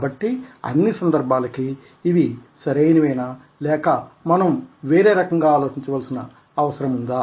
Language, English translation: Telugu, so are they good enough for all situations or do we need to think in other ways